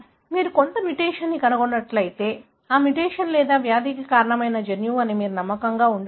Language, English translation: Telugu, If you have found some mutation, then you can be confident that is the, mutation or that is the gene that is causing the disease